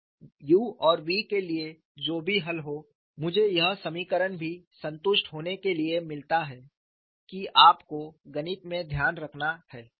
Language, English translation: Hindi, So, whatever the solution for u and v I get, this equation also to be satisfied that is to be taken care of in your mathematics